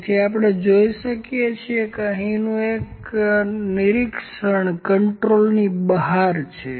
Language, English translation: Gujarati, So, we can see that one of the observation here is out of control